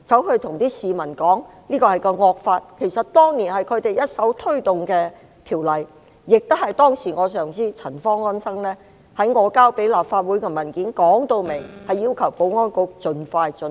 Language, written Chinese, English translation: Cantonese, 其實這是他們當年一手推動的條例，當時我上司陳方安生女士亦在我提交立法會的文件中，清楚表明要求保安局盡快進行。, In fact this was the ordinance they initiated then . At that time my supervisor Mrs Anson CHAN also clearly stated in the document I submitted to the Legislative Council that the Security Bureau was requested to proceed as soon as possible